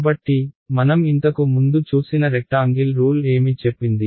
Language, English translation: Telugu, So, the rectangle rule that we saw earlier what did it say